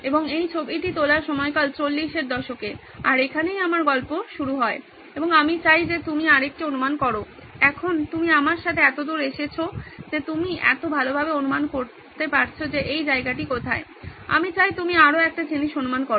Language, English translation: Bengali, So, and the time period around which this photograph was taken was in the 40’s so that’s where my story begins and I would like you to take another guess, now that you have come with me so far you guessed so well where this place is, I would like you to guess one more thing